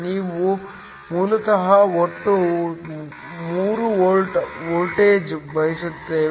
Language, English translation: Kannada, We basically want a total voltage of 3 volts